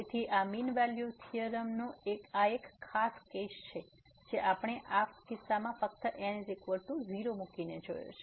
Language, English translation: Gujarati, So, this is a special case of the mean value theorem which we have seen just by putting is equal to 0 in this case